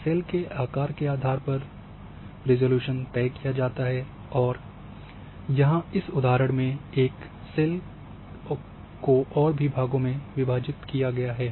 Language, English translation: Hindi, Depending on the size of the cell resolution is decided and this is like here that in this particular example a cell has been further divided